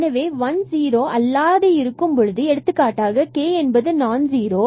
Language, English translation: Tamil, So, if 1 of them is non zero for example, k is non zero